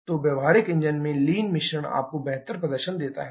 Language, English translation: Hindi, So, in practical engines lean mixtures give you better performance